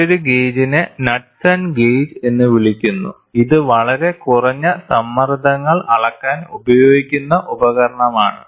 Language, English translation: Malayalam, The, another one another gauge is called as Knudsen gauge, it is a device employed to measure very low pressures